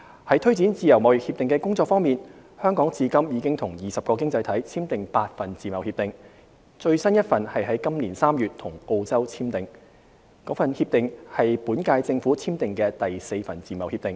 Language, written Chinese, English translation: Cantonese, 在推展自貿協定的工作方面，香港至今已與20個經濟體簽訂8份自貿協定，最新一份是於今年3月與澳洲簽訂，該協定為本屆政府簽訂的第四份自貿協定。, For the progress in expanding our FTA network Hong Kong has signed eight FTAs with 20 economies . The latest one was signed with Australia in this March which is the fourth FTA signed by the current - term Government